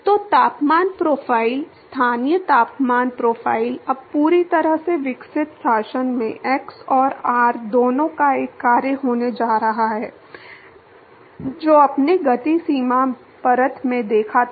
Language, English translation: Hindi, So, the temperature profile; the local temperature profile is now going to be a function of both x and r in the fully developed regime, unlike what you saw in the momentum boundary layer